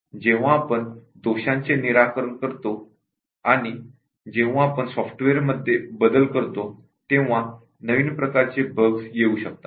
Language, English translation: Marathi, And, when we fix the bugs that have been eliminated and when we make other changes to the software, new types of bugs get introduced